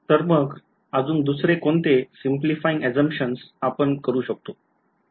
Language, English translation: Marathi, So, what is another simplifying assumption we could do